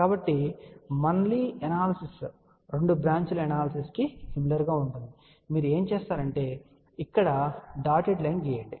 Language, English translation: Telugu, So, again analysis is very similar to two branch analysis what you do would draw a dotted line over here